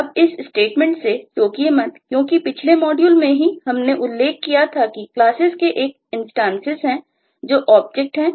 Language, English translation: Hindi, now do not get shocked in this statement, because in the last module itself we had mentioned that classes have instances that are objects